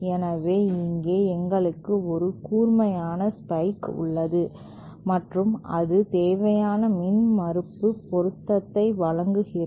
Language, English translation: Tamil, So, here, we have a pointed spike like structure and that provides the required impedance matching